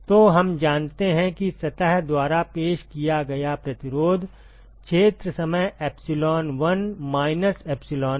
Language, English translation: Hindi, So, we know that the resistance offered by the surface, is 1 minus epsilon by the area time epsilon